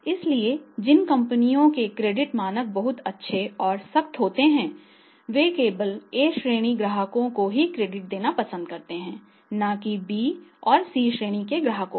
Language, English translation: Hindi, So, companies whose credit standards are very good and strict they will only like to give the credit to the A Customers of customer and not to be B and C category of customers